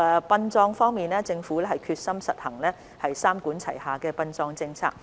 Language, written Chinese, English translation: Cantonese, 殯葬方面，政府決心實行三管齊下的殯葬政策。, Regarding burial the Government is determined to take forward the burial policy under a three - pronged approach